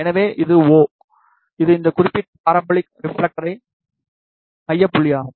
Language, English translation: Tamil, So, this is o, which is a focal point of this particular parabolic reflector